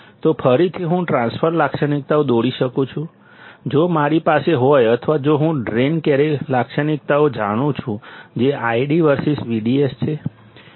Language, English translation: Gujarati, So again, I can draw the transfer characteristics, if I have or if I know the drain characteristics that is I D versus V D S